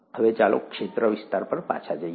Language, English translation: Gujarati, Now let’s get back to domains